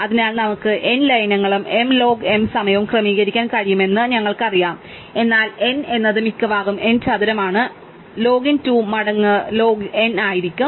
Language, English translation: Malayalam, So, we know that we can sort m edges in m log m time, but m is at most n square, so log n will be 2 times log n